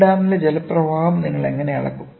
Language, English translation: Malayalam, For measure how do you measure the flow of water in a dam